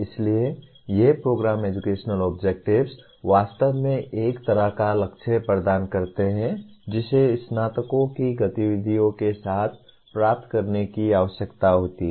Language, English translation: Hindi, So these Program Educational Objectives really provide a kind of a goal that needs to be attained with the activities of graduates